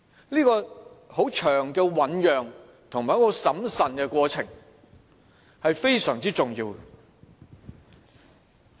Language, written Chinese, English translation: Cantonese, 這個漫長的醞釀及很審慎的過程非常重要。, According to him a long and prudent process to mull over the whole thing was very important